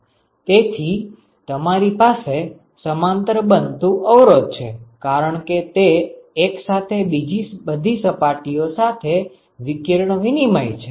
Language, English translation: Gujarati, Therefore, you have resistance for which are occurring in parallel, because it is simultaneously exchanging radiation with all other surfaces